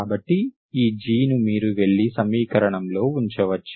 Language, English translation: Telugu, So this G, you can go and put it into the equation